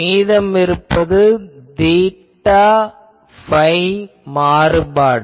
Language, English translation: Tamil, So, there are only theta phi component